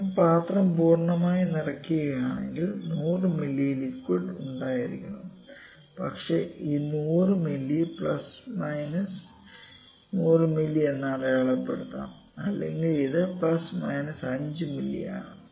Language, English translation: Malayalam, If I fill the jar completely, then 100 ml liquid should be there, but it might be marked there this 100 ml plus minus 100 ml or it is plus minus 5 ml